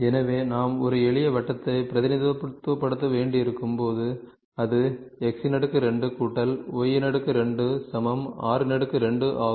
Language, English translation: Tamil, So, when we have to represent a simple circle, it is x square plus y square is equal to r square